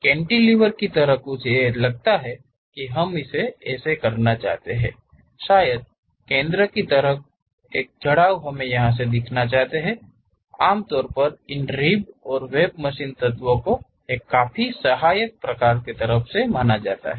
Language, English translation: Hindi, Something like cantilever kind of suppose we would like to really do that; perhaps off center kind of lows we would like to represent, usually these ribs and webs are quite helpful kind of machine elements